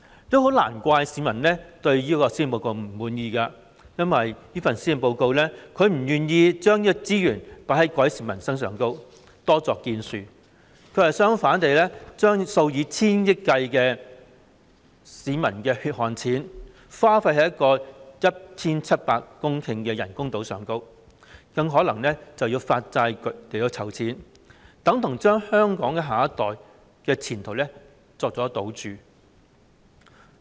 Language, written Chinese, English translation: Cantonese, 這也很難怪市民會不滿這份施政報告，因為這份施政報告不願將資源放在改善民生方面，多作建樹，反之，卻將數以千億元計的市民血汗錢花費在興建 1,700 公頃的人工島，更可能要為此發債集資，這就等同將香港下一代的前途作為賭注。, It is no wonder that the public are dissatisfied with this Policy Address simply because of the Governments reluctance to allocate more resources to improve peoples livelihood and make more achievements in this area . On the contrary hundreds of billions dollars of peoples hard - earned money will be poured into building 1 700 hectares of artificial islands for which bonds may be issued to raise funds . It is tantamount to betting on the future of Hong Kongs next generation